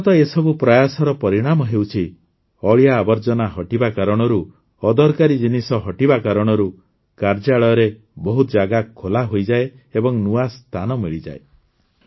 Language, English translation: Odia, The result of these continuous efforts is that due to the removal of garbage, removal of unnecessary items, a lot of space opens up in the offices, new space is available